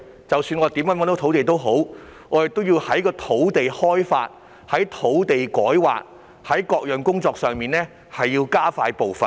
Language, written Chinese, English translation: Cantonese, 即使我們已覓得土地，也要在土地開發、土地改劃等各項工作上加快步伐。, Even though we have identified land we still need to expedite various tasks such as land development and rezoning